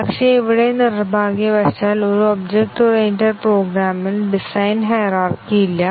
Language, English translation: Malayalam, But, here unfortunately in an object oriented program the design is not hierarchical